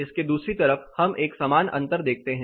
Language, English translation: Hindi, On the other side of this we also notice a similar difference